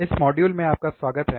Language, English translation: Hindi, Alright, welcome to this module